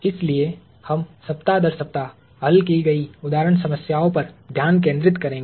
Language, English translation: Hindi, So, we will concentrate week by week on solved example problems